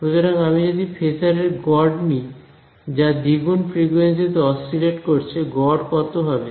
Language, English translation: Bengali, So, if I take the average of phasors that is oscillating at twice the frequency has how much average